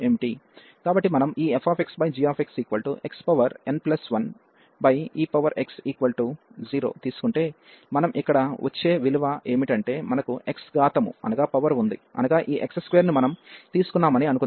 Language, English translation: Telugu, So, if we take this limit here f x over g x as x approaches to infinity, so what we will get here, we have the x power suppose we have taken this x square